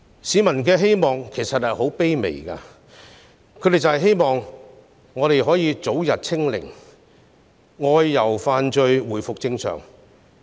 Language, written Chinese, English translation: Cantonese, 市民的願望其實十分卑微，便是香港能早日"清零"，能正常外遊和飯聚。, Peoples wish is actually very humble Hong Kong will soon achieve zero infection so that they can travel out of the territory and dine out as before